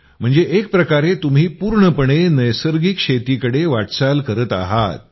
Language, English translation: Marathi, So in a way you are moving towards natural farming, completely